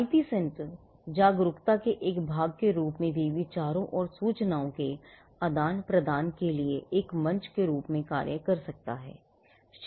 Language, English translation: Hindi, The IP centre can also as a part of the awareness have act as a forum for exchanging ideas and information